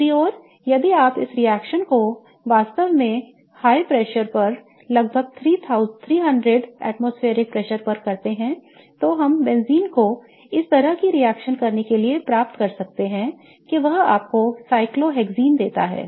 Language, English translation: Hindi, On the other hand, if you do this reaction at a really high pressure, so around 300 atmosphere pressure, then we can get benzene to react such that it gives you cyclohexane